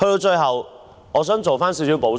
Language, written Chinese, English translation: Cantonese, 最後，我想作少許補充。, Finally I wish to say a few extra words